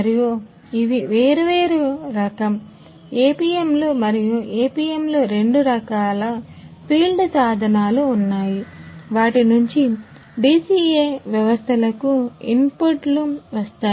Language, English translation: Telugu, And these are different type of APMs a the APMs there are two different types of field instruments from which inputs come comes to the DCA systems